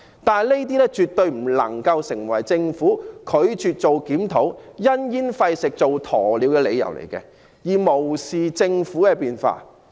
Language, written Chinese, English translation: Cantonese, 不過，這些絕對不能成為政府拒絕檢討，因噎廢食、做鴕鳥的理由，政府不應無視社會的變化。, Yet this should never give the Government the excuse to refuse to conduct a review or the reason to avoid addressing the issues or to play the ostrich . The Government should not ignore the changes in society